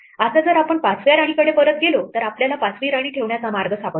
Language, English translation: Marathi, Now if we go back to the 5th queen then we find that there is a way to place the 5th queen